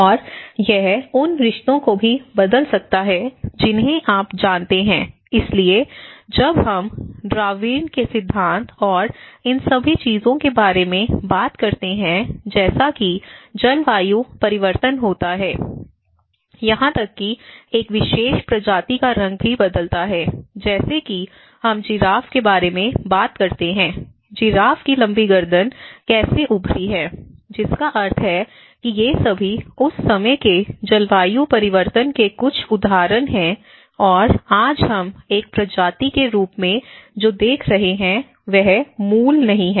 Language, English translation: Hindi, And it also can alter the relationships you know, so when we talk about the Darwin's theory and all these things, as the climate change happens even the colour of a particular species also changes, the nature like we talk about giraffe and how it has changed, today the long neck giraffe how it has emerged so, which means these are all some of the evidences of that times climate change and today what we are seeing as a species is not the original one